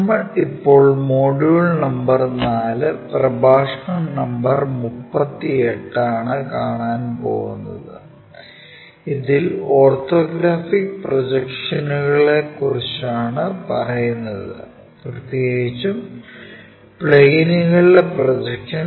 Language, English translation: Malayalam, We are covering Module number 4, Lecture number 38, it is about Orthographic Projections especially Projection of planes